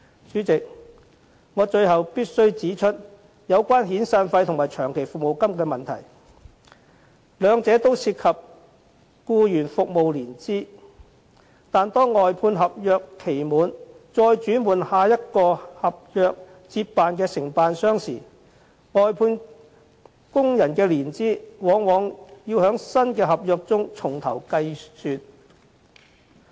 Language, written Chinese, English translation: Cantonese, 主席，最後我必須指出有關遣散費和長期服務金的問題，兩者均涉及僱員服務年資，但當外判合約期滿後轉換另一合約承辦商接辦服務時，外判工人的年資往往要在新合約中重新計算。, Lastly President I must point out the problem of severance payment and long service payment . Both payments involve the years of service of employees but when the provision of service is taken up by another contractor after the expiry of the outsourced service contract the counting of years of service of the workers often has to start all over again for the new contract